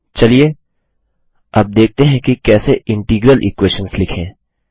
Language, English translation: Hindi, Now let us see how to write Integral equations